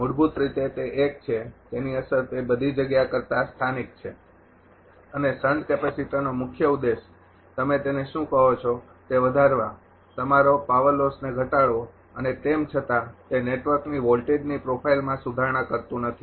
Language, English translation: Gujarati, Basically, it is a ah it is effect is local rather than global and ah primary objective of sand capacitor is to your what you call to increase the your reduce the power loss and do not much it improves the voltage profile of the network